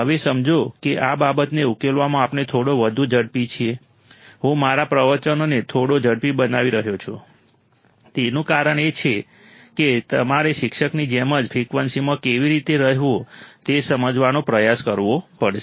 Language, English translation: Gujarati, Now, understand that we are little bit faster in solving these things, I am speeding up my lectures a little bit, the reason is that you have to also try to understand how to be in the same frequency as the teacher